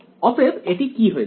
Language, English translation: Bengali, So, what will that become